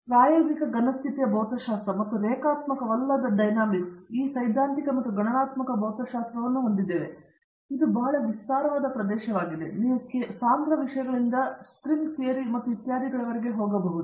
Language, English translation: Kannada, And, experimental solid state physics and non linear dynamics and we have this theoretical and computational physics and this is a very vast area, you can go from condense matters to string theory and etcetera